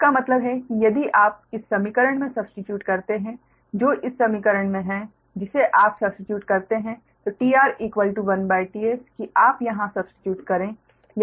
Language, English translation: Hindi, that means if we you substitute in this equation, that is, in this equation you substitute that t r is equal to one upon t s, you substitute here